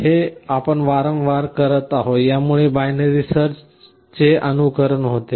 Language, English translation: Marathi, This is what we are doing repeatedly and this emulates binary search